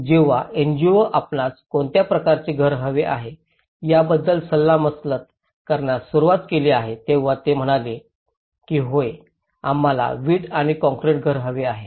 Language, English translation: Marathi, When the NGOs have started consulting what type of house do you want they said yes we want a brick and concrete house